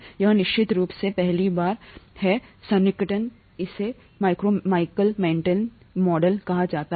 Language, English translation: Hindi, This is of course, this is a first approximation, this is called the Michaelis Menton model